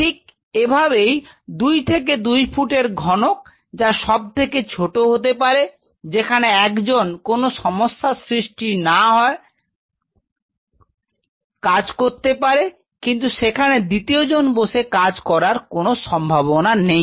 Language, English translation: Bengali, Like this 2 to 2 and half feet cube which are the smallest one where one individual can work without disturbing anybody, but there is no option for a second person to sit in this